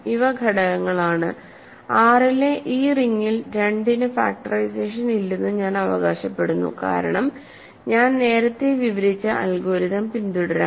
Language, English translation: Malayalam, So, these are elements, I claim that in this ring in R, 2 has no factorization, because let us follow the algorithm that I described earlier